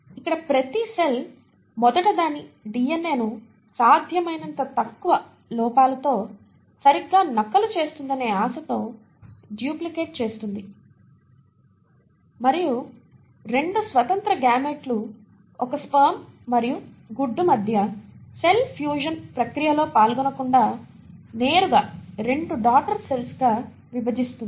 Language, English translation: Telugu, Here each cell will first duplicate its DNA in the hope that it is duplicating it exactly with as many minimal errors as possible and then divide into 2 daughter cells directly without undergoing the process of cell fusion between 2 independent gametes a sperm and an egg, that process does not happen in case of prokaryotes